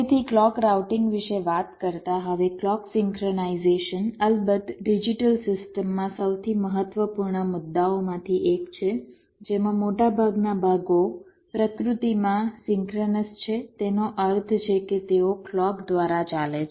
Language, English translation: Gujarati, ok, so, talking about clock routing now clock synchronisation is, of course, one of the most important issues in digital systems, which, or most parts, are synchronous in nature, means they are driven by a clock